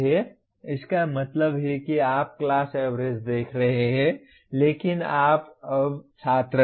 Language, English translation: Hindi, That means you are looking at class averages but you are now the students